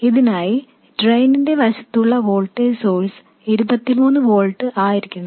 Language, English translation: Malayalam, For this, the voltage source on the drain side must be 23 volts